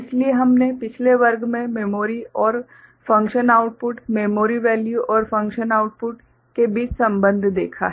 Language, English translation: Hindi, So, that part we have seen the relationship between memory and function output, memory value and function output in the previous class ok